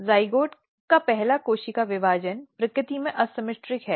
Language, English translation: Hindi, So, even the first cell division of zygote is asymmetric in nature